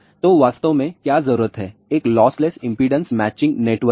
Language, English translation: Hindi, So, what we really need is a lossless impedance matching network